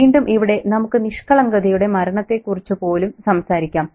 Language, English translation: Malayalam, Again, we might even talk about the death of innocence